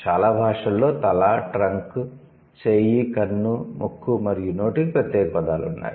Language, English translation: Telugu, Most languages have separate words for head, trunk, arm, eye, nose and mouth, right